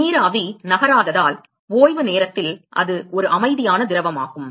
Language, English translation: Tamil, At rest because the vapor is not moving it is a quiescent fluid